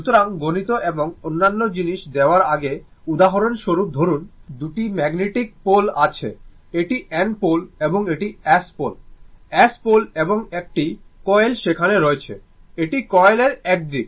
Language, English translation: Bengali, So, before giving mathematics and other thing, just for example suppose, you have two magnetic pole, this is your N pole and this is your S pole, right, s pole and one coil is there one coil there this is the one side of the coil